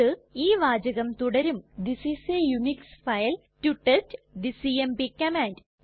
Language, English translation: Malayalam, It will contain the text This is a Unix file to test the cmp command